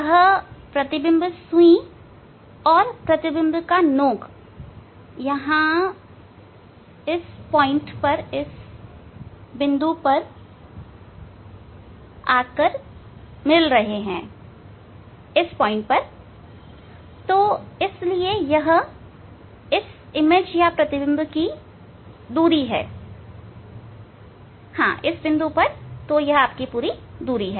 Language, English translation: Hindi, these the image needle and the image tip are coincide at this point, so these the image distance